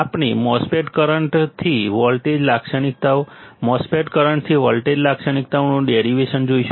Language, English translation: Gujarati, We will looking at the derivation of MOSFET current to voltage characteristics, derivation of MOSFET current to voltage characteristics